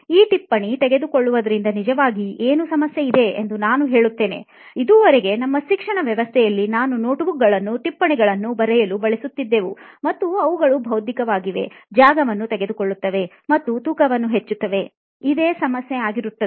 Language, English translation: Kannada, So to answer to this one, the note taking process I will say what actually the problem is in this note taking, till now what we have seen in our education system we are all using notebooks right to carry or to write notes and the problem with notes is it is physical, it takes space and it has got weight